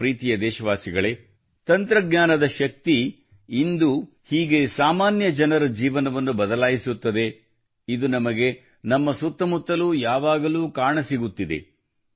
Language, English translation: Kannada, My dear countrymen, how the power of technology is changing the lives of ordinary people, we are constantly seeing this around us